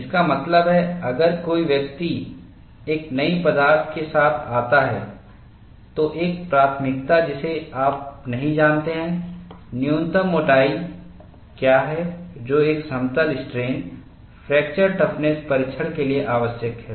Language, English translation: Hindi, This is one of the important issues; that means, if somebody comes up with a new material, you will not know, what is the minimum thickness that is necessary for conducting a plane strain fracture toughness test